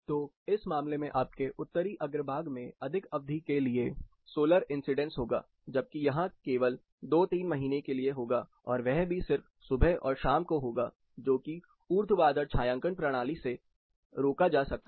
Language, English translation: Hindi, So, typically in this case your Northern facade is going to have solar incidence for more duration whereas, here it is only for 2 3 months that too slightly in the morning and evenings which can be prevented or up stretched to a vertical shading system